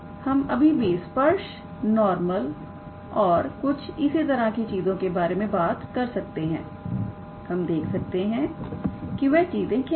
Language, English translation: Hindi, We can still be able to talk about tangent normal and some other things as well; we will see what are those things